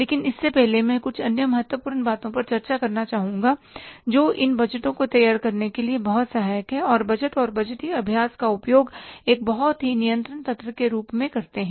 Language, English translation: Hindi, But before that I would like to discuss certain other important things which are very supportive for preparing these budgets and using the budget and budgetary exercise as a very, very controlled mechanism